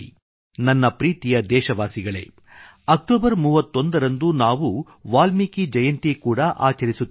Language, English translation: Kannada, On the 31st of October we will also celebrate 'Valmiki Jayanti'